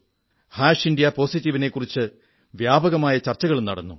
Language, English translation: Malayalam, indiapositive has been the subject of quite an extensive discussion